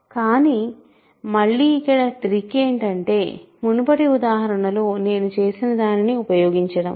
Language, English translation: Telugu, But again, the trick is to use what I have done in the previous example